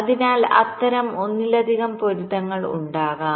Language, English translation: Malayalam, so there can be multiple such matchings